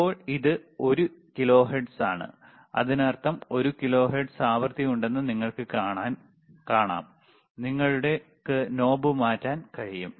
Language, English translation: Malayalam, So now it is 1 kilohertz right, so, you can see there is a one kilohertz frequency again you can change the knob